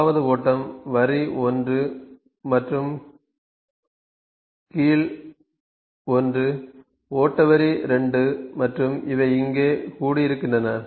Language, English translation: Tamil, Now this is flow line 1 ok, this is flow line 1, this is flow line 2 and these are being assembled here